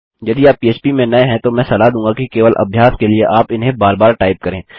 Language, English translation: Hindi, If you are new to php I would suggest that you type these out again and again just for practice